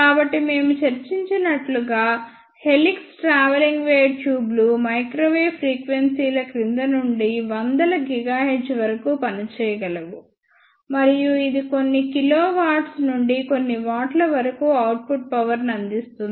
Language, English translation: Telugu, So, as we discussed helix travelling wave tubes can work from below microwave frequencies to about hundreds of gigahertz and this can provide output powers from few kilowatt to few watts